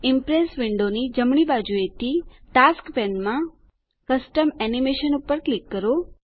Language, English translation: Gujarati, From the right side of the Impress window, in the Tasks pane, click on Custom Animation